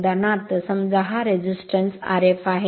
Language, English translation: Marathi, For example, suppose this resistance is R f right